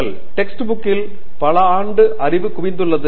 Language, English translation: Tamil, Text book is accumulated knowledge over several years